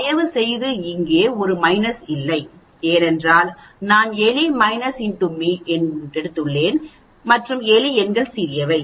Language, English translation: Tamil, Please note there is a minus here, because I have taken rat minus X m and the rat numbers are smaller